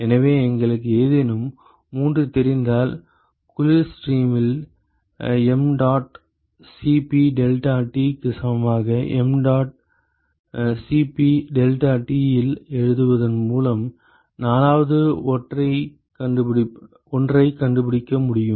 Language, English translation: Tamil, So, if we know any 3 you should be able to find the 4th one by simply writing on mdot Cp deltaT equal to mdot Cp deltaT for the cold stream